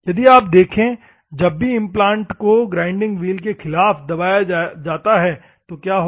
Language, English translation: Hindi, If you see whenever the implant is pressed against the grinding wheel, what will happen